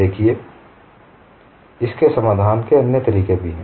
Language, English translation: Hindi, See there are also other methods of solution